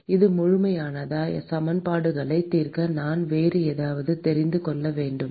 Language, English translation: Tamil, Is it complete do I need to know something else to solve the equations